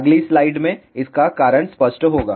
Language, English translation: Hindi, The reason will be obvious from the next slide